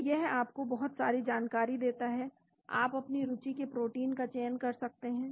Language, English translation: Hindi, So, it gives you lot of information, you can select the protein of your interest